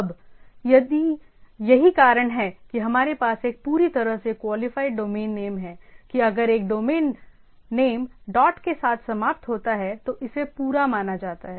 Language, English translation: Hindi, Now, that is why we have a fully qualified domain name that if a domain name ends with a dot it is assumed to be complete